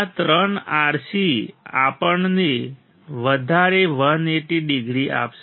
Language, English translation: Gujarati, This three R C will give us further 180 degree